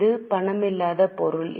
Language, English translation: Tamil, It is a non cash item